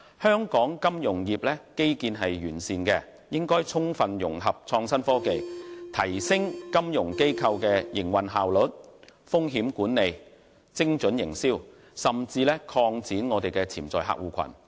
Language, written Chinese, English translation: Cantonese, 香港金融業基建完善，應充分融合創新科技，提升金融機構的營運效率、風險管理、精準營銷，甚至擴展潛在客戶群。, With its sound financial infrastructure Hong Kong should fully integrate various innovative technologies to enhance the operational efficiency of financial institutions risk management and precision marketing or even expand its potential clientele